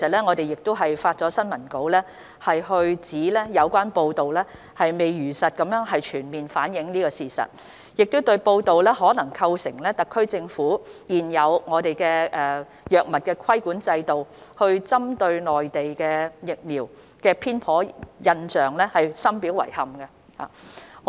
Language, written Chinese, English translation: Cantonese, 我們已發出新聞稿，指有關報道未有如實全面反映事實，可能構成特區現有藥物規管制度針對內地疫苗的偏頗印象，我們對此深表遺憾。, We have issued a press release stating that the relevant reports have not truthfully and comprehensively reflected the facts and may create a biased impression that Mainland vaccines have been targeted against under the existing regulatory regime for drugs of the SAR . We feel regrettable about the report